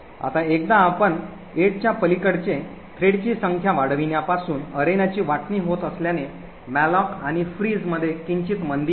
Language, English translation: Marathi, Now once you increase the number of threads beyond 8 since there is a sharing of arenas it could result in a slight slowdown of the malloc and frees